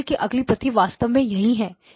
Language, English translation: Hindi, The next copy of the signal actually lies here, right